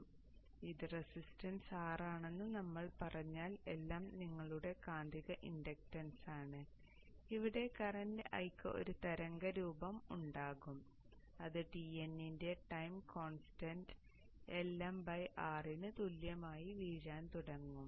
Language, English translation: Malayalam, So here if I say this is some resistance R and if LM is your magnetizing inductance, the current I here will have a wave shape which starts falling like that with a time constant of tau equals LM by R